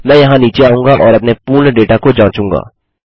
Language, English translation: Hindi, I will come down here and check for all of our data